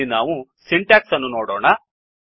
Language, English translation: Kannada, We can see the syntax here